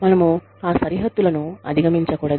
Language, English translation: Telugu, We should not overstep, those boundaries